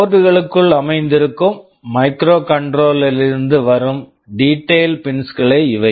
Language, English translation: Tamil, These are the detailed pins that are coming from the microcontroller sitting inside the board